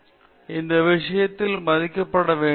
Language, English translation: Tamil, So, these things have to be respected